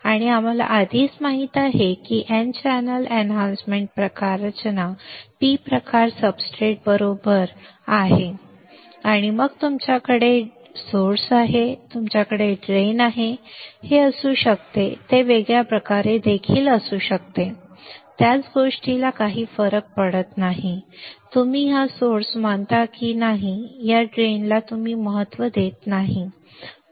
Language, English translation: Marathi, And we already know n channel enhancement type structure as a P type substrate right is the substrate and then you have source, you have drain, it can be like this it can be in in a different way also the same the same thing does not matter it does not matter whether you consider this is source you consider this drain that does not matter ok